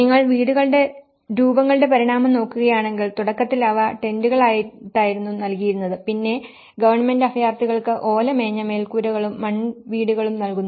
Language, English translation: Malayalam, And if you look at the evolution of house forms, initially they were given as a tents, then the government have provide with thatched roofs, mud houses of refugees